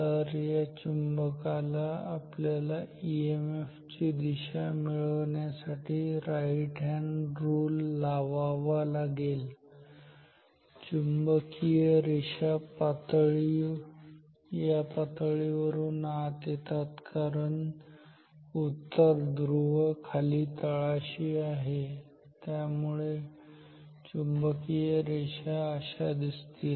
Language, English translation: Marathi, So, this is the magnet we have to apply right hand rule to get the direction of the EMF, flux lines are entering through the plane because North Pole is at the bottom so flux lines are like this